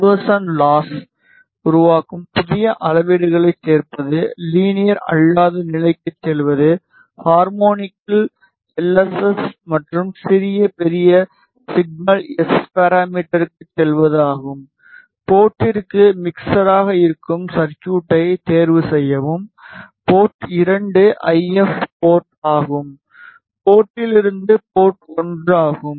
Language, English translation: Tamil, Conversion Loss create, add new measurement, go to non linear, go to power LSS and small large signal S parameter at harmonic, choose the circuit to be mixer to port is port 2 IF port, from port is port 1